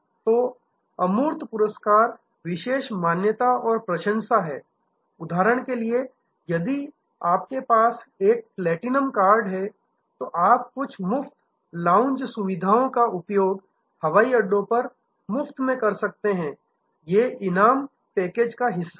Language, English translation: Hindi, So, intangible rewards are special recognition and appreciation like for example, if you have a platinum card then you can use certain lounge services at airports free of cost, these are part of the reward package